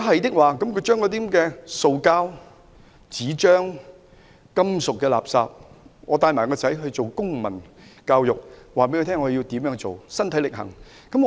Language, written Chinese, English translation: Cantonese, 他們應該將塑膠、紙張、金屬垃圾分類，並身體力行，教導子女如何將垃圾分類。, They should separate plastic paper and metal wastes and set a good example by teaching their children how to sort different wastes